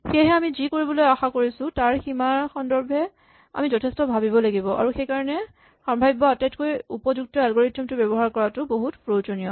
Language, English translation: Assamese, So really we have to think very hard about what are the limits of what we can hope to do and that is why it is very important to use the best possible algorithm